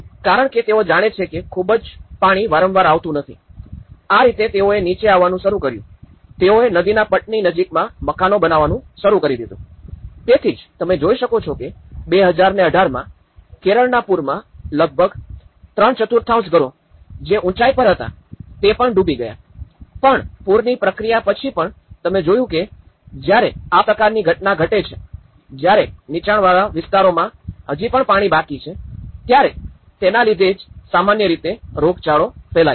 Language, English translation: Gujarati, Because they know, that the water is not coming very frequently, that is how they started coming down and they even started you know, constructing the houses near the riverbeds, so that is where you can see that in 2018, the Kerala flood have almost submerged 3/4th of the houses even on the top but even after the flood process still certain because you see that when this kind of images have formed, even after the this low lying areas are still leftover with the water and that is what creating some endemic and epidemic diseases which are spreading